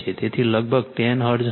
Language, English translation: Gujarati, So, this will be approximately 10 hertz